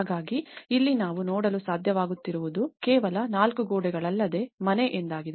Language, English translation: Kannada, So here, what we are able to see is that it is not just the four walls which a house is all about